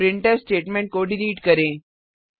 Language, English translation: Hindi, Delete the printf statement